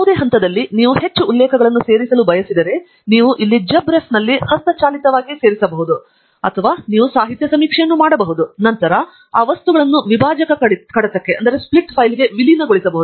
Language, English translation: Kannada, At any point if you want add more references, you could add them a manually here in JabRef or you can do a literature survey, and then, merge those items into the bib file